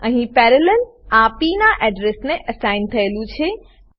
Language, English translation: Gujarati, Here, Parallel is assigned to the address of p